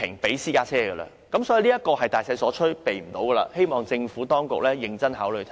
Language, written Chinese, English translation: Cantonese, 由此可見，這是大勢所趨，無法避免，我希望政府認真考慮我剛才的觀點。, This shows that it is a broad trend which is inevitable . I hope the Government can seriously consider my earlier viewpoints